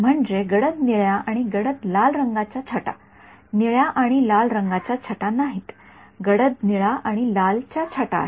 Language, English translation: Marathi, I mean that is the shades of blue and red shades of not blue and red shades of dark blue and dark red